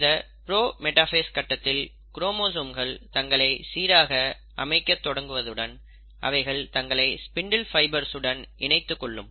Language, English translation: Tamil, So in the pro metaphase stage, what happens is that the chromosomes have now started arranging themselves in a fashion that they start connecting themselves and attaching themselves to the spindle fibres, and now how do they attach themselves to the spindle fibres